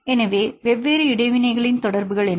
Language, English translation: Tamil, So, different interactions; what are the interactions